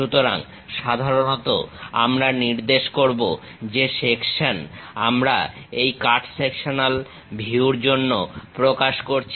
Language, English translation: Bengali, So, usually we represent which section we are representing for this cut sectional view